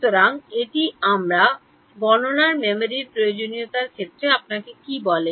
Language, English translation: Bengali, So, what does that tell you in terms of the memory requirements of my computation